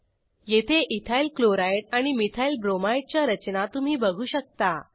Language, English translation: Marathi, Here you can see EthylChloride and Methylbromide structures